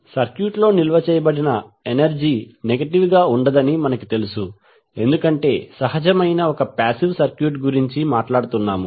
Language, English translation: Telugu, The as we know the energy stored in the circuit cannot be negative because we are talking about the circuit which is passive in nature